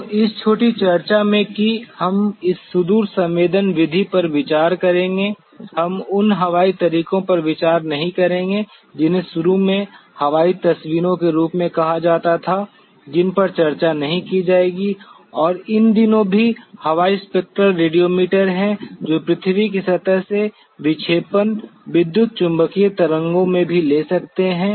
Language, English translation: Hindi, So, in this short discussion that we will have on this remote sensing method we will not consider the airborne methods which were initially were called as aerial photographs which will not be discussing and these days even there are airborne spectral radiometers which also take the deflection from the earth surface in the electromagnetic waves